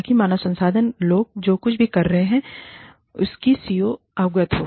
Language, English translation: Hindi, So, that the CEO is aware of, whatever the human resources people are doing